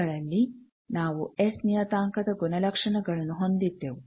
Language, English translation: Kannada, All we had in these properties of S parameter